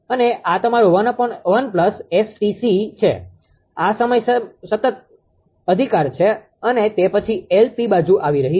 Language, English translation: Gujarati, And this is your 1 upon 1 plus ST c this is cross over time constant right, and after that LP side is coming